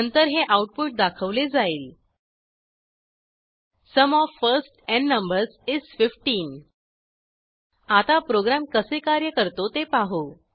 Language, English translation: Marathi, After that, the last line of the output is displayed: Sum of first n numbers is 15 Now let us see the flow of the program